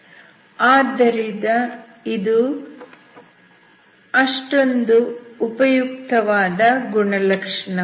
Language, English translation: Kannada, So that is really not a useful property